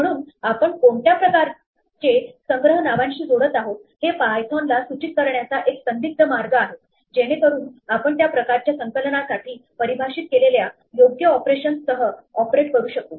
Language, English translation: Marathi, So, there is an unambiguous way of signaling to python what type of a collection we are associating with the name, so that we can operate on it with the appropriate operations that are defined for that type of collection